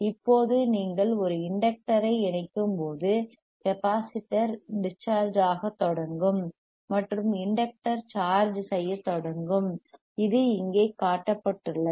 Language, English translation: Tamil, Now when you have connected an inductor when you connect an inductor;; the capacitor will start discharging and the inductor will start charging, that is whatich is shown here